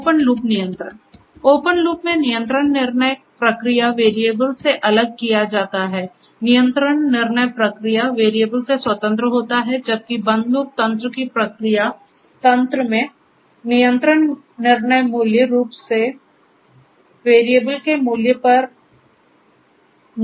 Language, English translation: Hindi, So, open loop control; open loop here the control decision is made independent of the process variable, control decision independent of the process variable whereas, in the feedback mechanism of the closed loop mechanism, the control decision basically depends on the measured value of the process variable